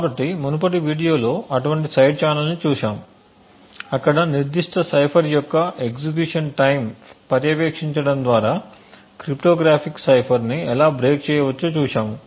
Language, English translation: Telugu, So, we had seen such a side channel in the in a previous video where we seen how cryptographic cipher can be broken by monitoring the execution time for that particular cipher